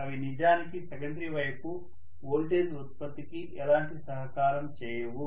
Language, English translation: Telugu, They are not going to really contribute towards the voltage production on the secondary side